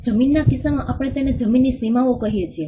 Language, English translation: Gujarati, In the case of the land we call them the boundaries of the land